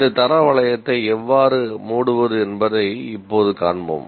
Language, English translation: Tamil, So, we will actually now find out how to close this quality loop